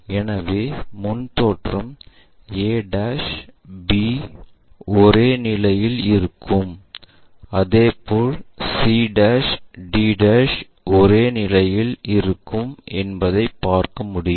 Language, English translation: Tamil, So, in the frontal view what we are going to see, a' b' at same position, similarly c' d' at the same location